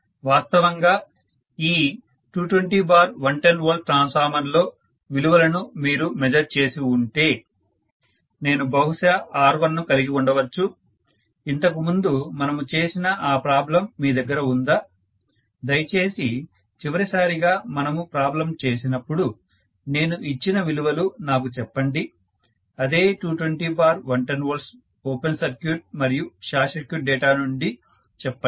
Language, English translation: Telugu, That is all I am trying to say, see originally if you had measured the values in this 220 by 110 V transformer, I might have had maybe R1, do you have that problem that we worked out, can you please give me those values, some arbitrary values I gave, last time we worked out on problem, the same 220 by 110 V, open circuited and short circuit data I gave last time